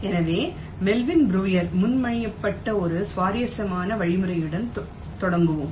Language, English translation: Tamil, so we start with an interesting algorithm which is proposed by melvin breuer